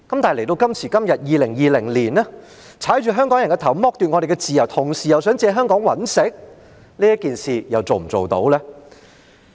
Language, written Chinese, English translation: Cantonese, 但是，到了2020年的今天，踏着香港人的頭、剝奪我們的自由，同時又想借香港賺錢，這件事又能否做到呢？, But today in 2020 we Hong Kong people have our heads stepped on and our freedom deprived while there are plans to make use of our place for making money